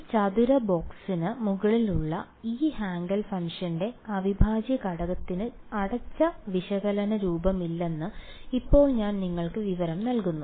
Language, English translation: Malayalam, Now it turns out I am just giving you information that the integral of this Hankel function over a square box there is no closed analytical form for it